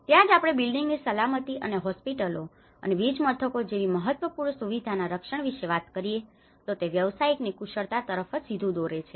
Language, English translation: Gujarati, That is where we talk about the building safety and the protection of critical facilities such as hospitals and power stations and draws directly from the expertise of the practitioners